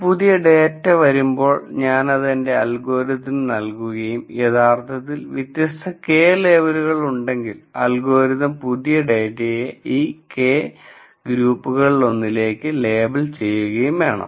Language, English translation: Malayalam, Whenever a new data point comes if I send it through my algorithm and if I originally had K different labels the algorithm should label the new point into one of the K groups